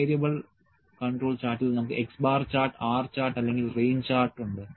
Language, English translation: Malayalam, In for variable control chart we have X bar chart and R charts or range chart